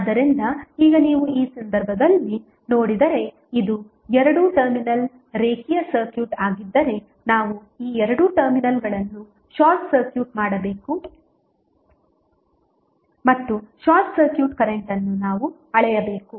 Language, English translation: Kannada, So, now if you see in this case if this is a two terminal linear circuit we have to short circuit these two terminals and we have to measure the current that is short circuit current